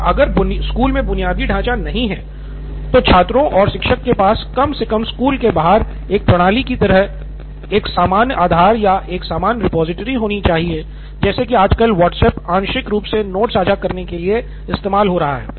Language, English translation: Hindi, And probably if the school does not have infrastructure, the students and teacher should have a common ground or a common repository like a system outside school at least where they can like what WhatsApp is partially trying to do in terms of sharing notes nowadays